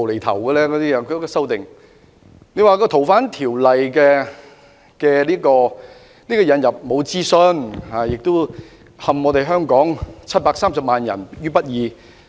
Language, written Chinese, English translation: Cantonese, 他們說修訂《逃犯條例》沒有進行諮詢，並會陷香港730萬人於不義。, They said that no consultation was conducted on the amendment of the Fugitive Offenders Ordinance FOO which would bring the 7.3 million Hong Kong people into injustice